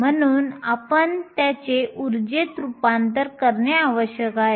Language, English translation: Marathi, So, we need to convert it into energy